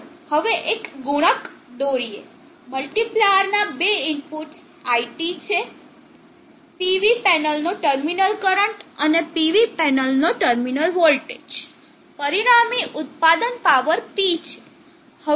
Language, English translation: Gujarati, Let us now draw the multiplier, the two inputs of the multiplier are IT, the terminal current of the PV panel, and VT the terminal voltage of the PV panel, the resulting product is the power P